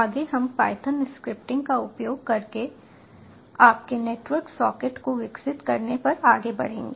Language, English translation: Hindi, next we will move on to your developing a network socket using python scripting